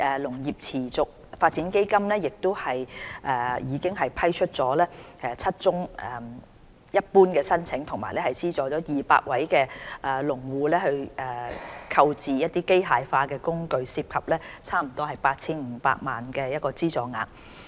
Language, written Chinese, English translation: Cantonese, "農業持續發展基金"已批出7宗一般申請及資助約200位農戶購置機械化工具，涉及約 8,500 萬元的資助額。, The Sustainable Agricultural Development Fund has approved seven general applications and subsidized approximately 200 farmers to buy mechanical tools involving about 85 million of subsidy